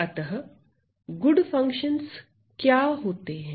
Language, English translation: Hindi, So, what are good functions